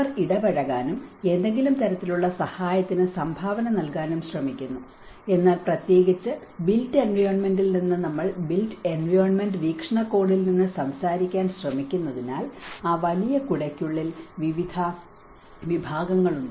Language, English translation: Malayalam, They try to get involved and try to contribute to some sort of assistance but then especially from the built environment because we are trying to talk from the built environment perspective, there are various disciplines comes within that bigger umbrella